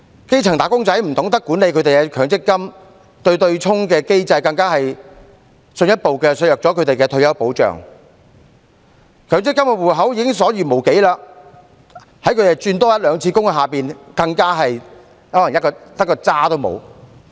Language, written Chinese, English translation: Cantonese, 基層"打工仔"不懂得管理他們的強積金，而對沖機制更進一步削減了他們的退休保障，強積金戶口內的累算權益已所餘無幾，在他們多轉換一兩次工作下，更可能連甚麼也沒有。, Grass - roots employees do not know how to manage their MPF accounts . With the off - setting mechanism further eroding their retirement protection the amount of accrued benefits in their MPF accounts is getting less